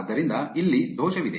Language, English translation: Kannada, So, there is an error here